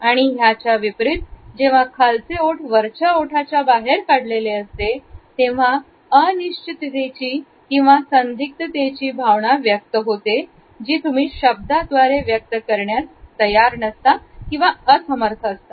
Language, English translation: Marathi, On the other hand, if the bottom lip has protruded over the top lip it indicates a feeling of uncertainty or ambivalence that one is unwilling to express with the help of words